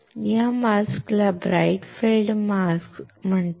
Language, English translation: Marathi, This mask is called bright field mask